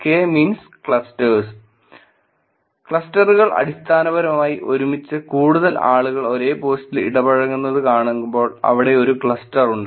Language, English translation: Malayalam, K means Clusters, clusters are basically way in when we see users together interacting on the same post more number of people, there is a cluster there are